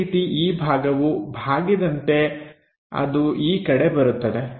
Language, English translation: Kannada, Similarly, this portion have a curve comes in that direction